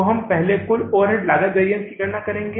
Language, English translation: Hindi, So we will first calculate the total overhead cost variance